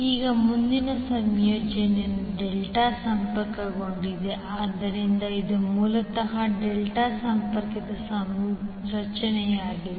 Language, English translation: Kannada, Now next combination is delta connected, so this is basically the delta connected configuration